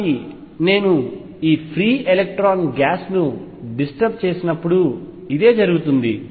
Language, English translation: Telugu, So, this is what happens when I disturb this free electron gas